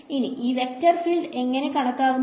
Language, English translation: Malayalam, Now how does this vector field look like